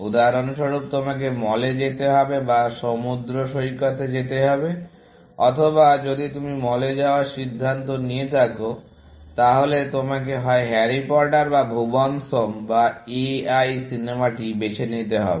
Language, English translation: Bengali, For example, you have to either, go to the mall or you have to go to the beach, or if you had decided upon the mall, then you have to either, choose Harry Potter or Bhuvan’s Home or A I, the movie, essentially